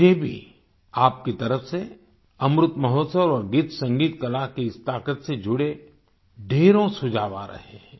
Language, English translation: Hindi, I too am getting several suggestions from you regarding Amrit Mahotsav and this strength of songsmusicarts